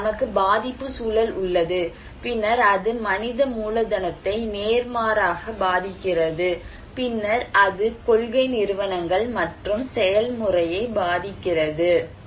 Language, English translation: Tamil, So, we have vulnerability context, then it is impacting human capital vice versa, and then it is influencing the policy institutions and process